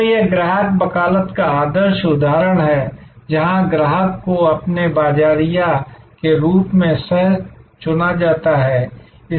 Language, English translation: Hindi, So, this is the ideal example of customer advocacy, where customer is co opted as your marketer